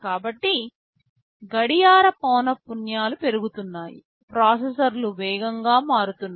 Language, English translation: Telugu, So, the clock frequencies are increasing, the processors are becoming faster